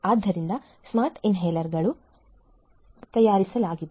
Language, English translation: Kannada, So, Smart Inhalers have been manufactured